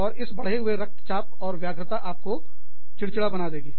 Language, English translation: Hindi, And, this elevated blood pressure and anxiety, leads to short temperedness